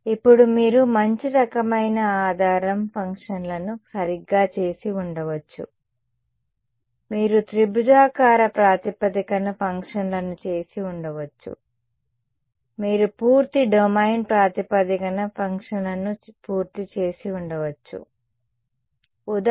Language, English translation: Telugu, Now you could have done better kind of basis functions right, you could have done for basis functions you could have done triangular basis functions, you could have done entire domain basis functions for example, Fourier series